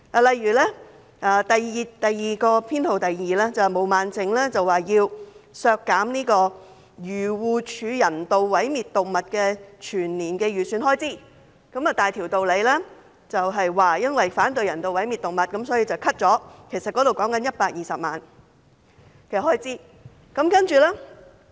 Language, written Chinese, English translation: Cantonese, 例如修正案編號 2， 毛孟靜議員要求削減漁農自然護理署人道毀滅動物的全年預算開支，大條道理地說因為反對人道毀滅動物，所以要削減有關預算開支120萬元。, For example in Amendment No . 2 Ms Claudia MO proposed to reduce the annual estimated expenditure of the Agriculture Fisheries and Conservation Department on euthanasia of animals arguing that that the estimated expenditure should be reduced by 1.2 million as she opposes the euthanasia of animals